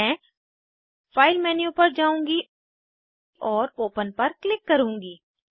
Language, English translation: Hindi, I will go to file menu amp click on open